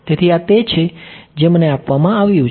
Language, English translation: Gujarati, So, this is what is given to me ok